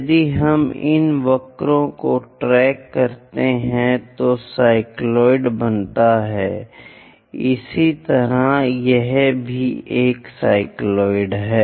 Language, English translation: Hindi, If we are in your position to track these curves makes cycloids, similarly this one also a cycloid